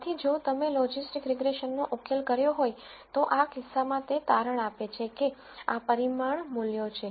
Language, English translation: Gujarati, So, if you did a logistics regression solution, then in this case it turns out that the parameter values are these